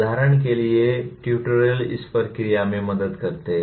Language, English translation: Hindi, For example, tutorials do help in this process